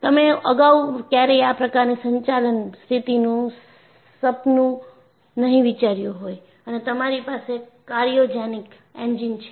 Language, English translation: Gujarati, You never even dream of that kind of operating conditions earlier and you have cryogenic engines